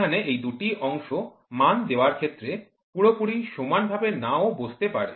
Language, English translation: Bengali, So, these two parts might not be exactly align to give the value